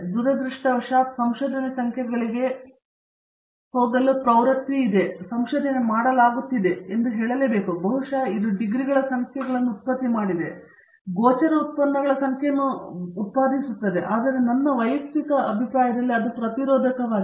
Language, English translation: Kannada, I must also say that unfortunately research is being made a rat race that there is a tendency to go for numbers, maybe it is the numbers of degrees produced, maybe it is the numbers of visible outputs produced, and that in my personal opinion is counterproductive